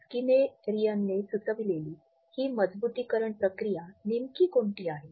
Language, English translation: Marathi, Now, what exactly is this reinforcement procedure which has been suggested by Skinnerian